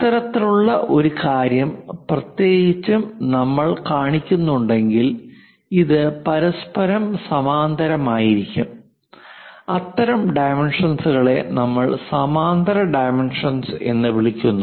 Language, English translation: Malayalam, That kind of thing especially if we are showing it if we are showing this one this one this one, look at this these are parallel with each other; such kind of dimensions what we call parallel dimensioning